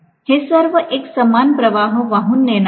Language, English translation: Marathi, All of them are going to carry the same current